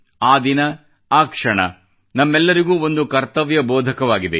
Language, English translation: Kannada, That day, that moment, instills in us all a sense of duty